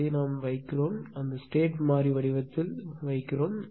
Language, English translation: Tamil, And I have to put we have to put it in the state variable form right